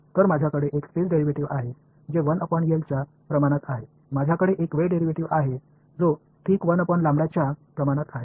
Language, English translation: Marathi, So, I have a space derivative which is proportional to 1 by L, I have a time derivative which is proportional to 1 by lambda ok